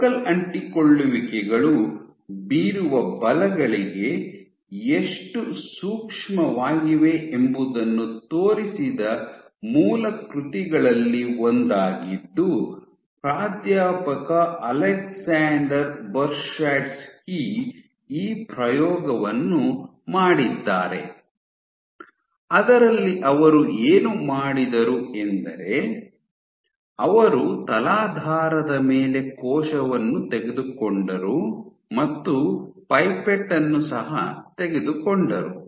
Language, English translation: Kannada, So, one of the first studies, one of the first seminal works which showed this that to ask the question that, how sensitive are focal adhesions to forces, you have Alexander Bershadsky, you have professor Alexander Bershadsky do this experiment, in that what he did was, you take you take a cell on a substrate you come down with a pipette